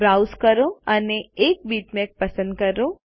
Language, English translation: Gujarati, Browse and select a bitmap